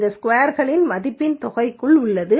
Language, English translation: Tamil, This is within sum of squares value